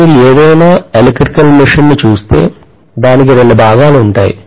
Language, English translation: Telugu, If you look at any electrical machine, I am going to have two portions